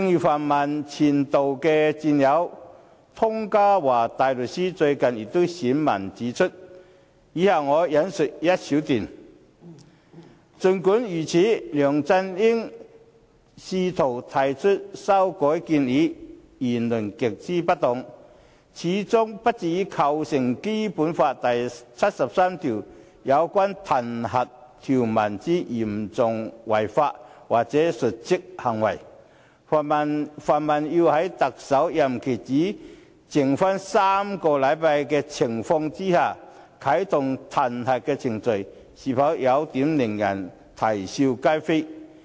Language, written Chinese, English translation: Cantonese, 泛民的前度戰友湯家驊大律師最近便撰文指出——以下我引述一小段——"儘管如此，梁振英試圖提出修改建議、言論極之不當，始終不至構成《基本法》第73條有關彈劾條文之'嚴重違法'或'瀆職行為'，泛民要在特首任期只剩不足6個星期之情況下啟動彈劾程序，是否有點令人啼笑皆非？, Senior Counsel Ronny TONG a former member of the pan - democratic camp recently wrote an article on the matter . Let me quote a short passage from it Notwithstanding while LEUNG Chun - yings attempt to make those amendments as well as his remarks are most inappropriate they do not constitute serious breach of law or dereliction of duty as specified in the impeachment provisions under Article 73 of the Basic Law . Moreover isnt it awkward for the pan - democrats to activate the impeachment procedure with only less than six weeks left in the term of the Chief Executive?